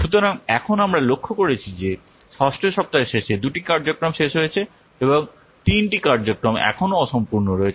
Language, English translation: Bengali, So now we have observed that by the end of week six, two activities have been completed and the three activities are still unfinished